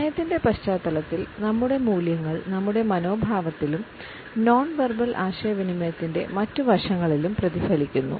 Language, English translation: Malayalam, Our values in the context of time are reflected in our attitudes as well as in other aspects of nonverbal communication